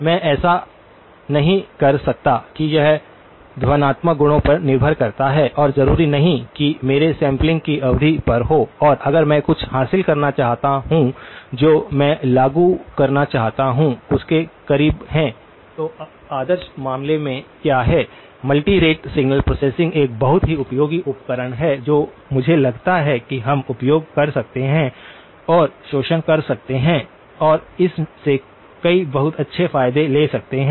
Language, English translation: Hindi, I cannot that depends on the acoustical properties and not necessarily on my sampling period and if I want to achieve something that is very close to what I want to implement, what in the ideal case then multi rate signal processing is a very, very useful tool which I think we can use and exploit and take several lots of very good advantages from that